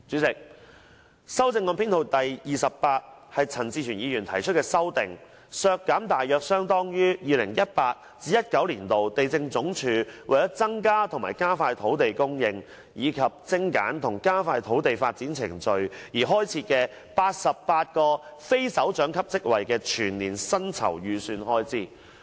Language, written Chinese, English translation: Cantonese, 該修正案旨在"削減大約相當於 2018-2019 年度地政總署為增加和加快土地供應，以及精簡和加快土地發展程序而開設的88個非首長級職位的全年薪酬預算開支"。, The amendment aims to reduce the financial provisions for the Lands Department approximately equivalent to the estimated expenditure on the annual emoluments for 88 non - directorate posts created to increase and hasten land supply and streamline and expedite the land development process in year 2018 - 2019